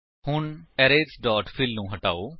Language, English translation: Punjabi, So, remove arrays dot fill